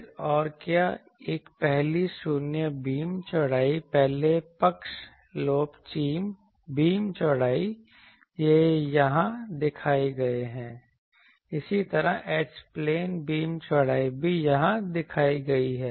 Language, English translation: Hindi, Then what else a first null beam width first side lobe beam width, these are shown here, similarly, H plane beam widths are also shown here